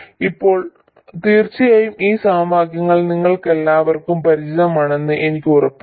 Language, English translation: Malayalam, Now of course I am sure all of you are familiar with this set of equations